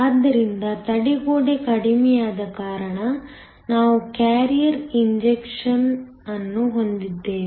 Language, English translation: Kannada, So because your barrier is reduced, you now have an injection of carriers